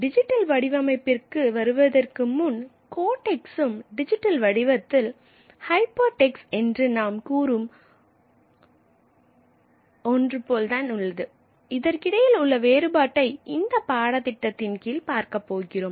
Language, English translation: Tamil, And we are going to study in detail in this course, the distinction between the codex and what we call in the digital format hypertext